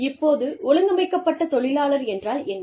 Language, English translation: Tamil, Now, what is organized labor